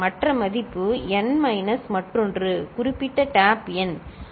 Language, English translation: Tamil, And other value is just n minus the other one, the particular tap number ok